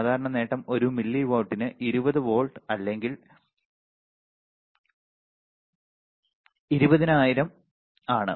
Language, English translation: Malayalam, Typical the gain is about 200 volts per milli watts or 200000 right